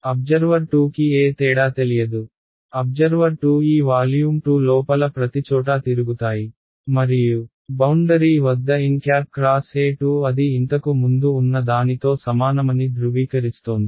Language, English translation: Telugu, Observer 2 will not know any difference, observer 2 walks around everywhere inside this volume 2 and at the boundary it just verifies n cross E 2 is equal to what it was earlier